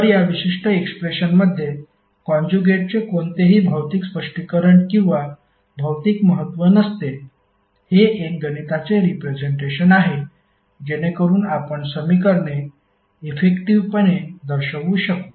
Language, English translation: Marathi, So the conjugate is not having any physical interpretation or physical significance in this particular depression this is just a mathematical representation, so that we can represent the equations effectively